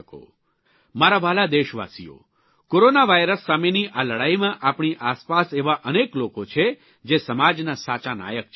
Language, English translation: Gujarati, My dear countrymen, in this battle against Corona virus we have many examples of real heroes in the society